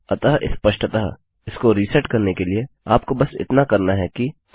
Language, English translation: Hindi, Now obviously, to reset this, all you would have to do is Ah